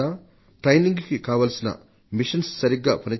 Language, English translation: Telugu, Are all the training machines functioning properly